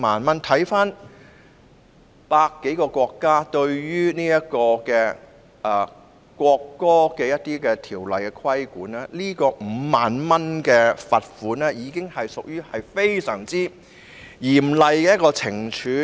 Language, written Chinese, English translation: Cantonese, 環顧百多個國家對於侮辱國歌的罰則 ，5 萬元的罰款已屬非常嚴厲的懲處。, Considering the penalties for insulting the national anthem in more than 100 countries a fine of 50,000 is a very harsh punishment